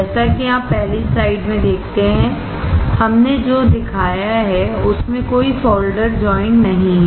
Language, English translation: Hindi, As you see in the first slide; what we have shown there have no solder joints